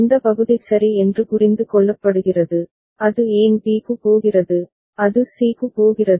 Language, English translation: Tamil, This part is understood ok, why where it is going to b, it is going to c right